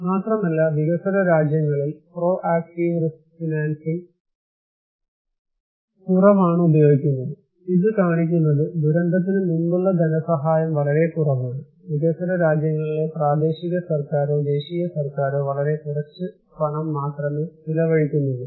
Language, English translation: Malayalam, Not only that, proactive risk financing is less used in developing countries, it is showing that we have very, very less during the pre disaster financing, the local government or the national government in developing countries are spending very little money